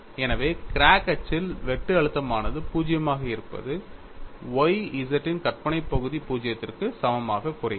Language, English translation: Tamil, So, when y is 0, that term automatically goes to 0; so shear stress being 0 along the crack axis reduces to imaginary part of Y z equal to 0